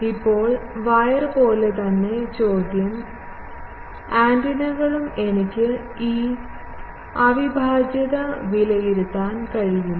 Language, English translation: Malayalam, Now, the question is as in case of wire antennas also that can I evaluate this integral